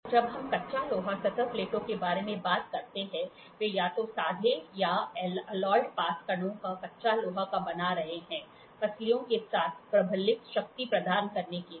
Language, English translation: Hindi, So, when we talk about cast iron surface plates, they are made of either plain or alloyed close grained cast iron, reinforced with ribs to provide strength